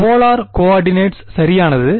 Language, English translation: Tamil, Polar coordinates right